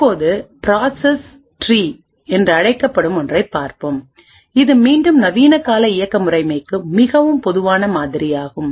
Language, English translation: Tamil, Now we will also look at something known as the process tree, which is again a very common model for most modern day operating system